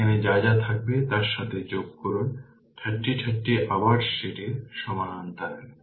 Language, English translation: Bengali, Whatever will be there you add it with that 30 30 again is in parallel to that right